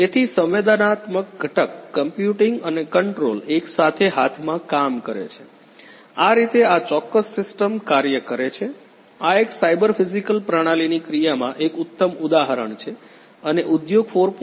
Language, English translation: Gujarati, So, the sensing component the computing and the control working together hand in hand, this is how this particular system works so, this is a good example of a cyber physical system in action